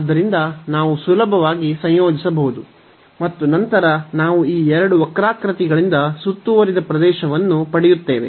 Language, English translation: Kannada, So, which we can easily integrate and then we will get the area enclosed by these two curves